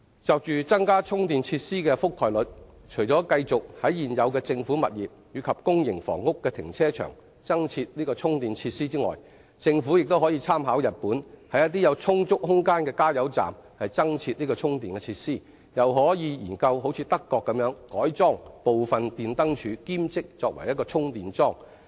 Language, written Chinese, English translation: Cantonese, 就增加充電設施的覆蓋率，除繼續在現有政府物業及公營房屋的停車場增設充電設施外，政府亦可參考日本，在一些有充足空間的加油站增設充電設施，又可研究德國改裝部分電燈柱以兼作充電樁的例子。, As for widening the network of charging facilities besides continuing with the installation of charging facilities in the car parks of existing government properties and public housing estates the Government can learn from the Japanese experience of retrofitting charging facilities to petrol stations with adequate space . Besides it can also study the German experience of modifying lamp posts to make them also serve as charging posts